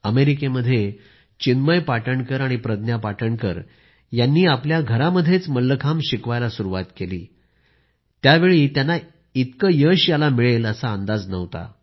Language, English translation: Marathi, When Chinmay Patankar and Pragya Patankar decided to teach Mallakhambh out of their home in America, little did they know how successful it would be